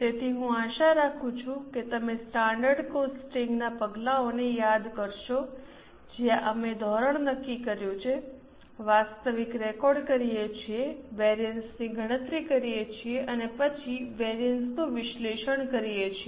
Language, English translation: Gujarati, So, I hope you remember the steps in standard costing where we set the standard record actuals, calculate variances and then analyze the variances